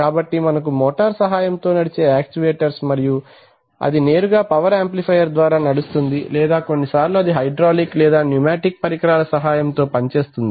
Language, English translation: Telugu, So we can have, if you have a motor driven actuator then sometimes it is driven directly from the power amplifier or sometimes it may be driven from it maybe even using hydraulic or pneumatic devices